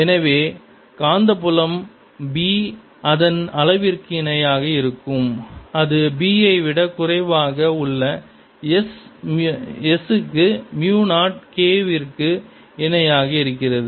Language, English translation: Tamil, so the magnetic field b is equal to its magnitude, is equal to mu zero k for s less than b